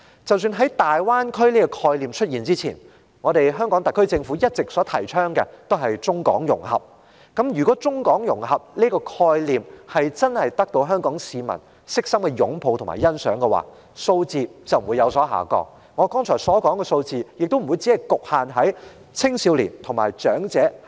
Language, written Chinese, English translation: Cantonese, 在"大灣區"這個概念出現前，香港特區政府一直提倡中港融合，但要是中港融合這個概念真的得到香港市民衷心擁護和欣賞的話，整體數字便不會有所下降，而上升的數字亦不會只局限於青少年和長者的組別了。, The SAR Government had been advocating Mainland - Hong Kong integration before the emergence of the concept of Greater Bay Area . Nevertheless had the idea of such integration won the wholehearted support and appreciation of the Hong Kong people the overall number of Hong Kong residents usually staying in Guangdong should not have dropped . It should not be a case in which rebound of figures only took place in the groups of youths and elderly people as it has turned out now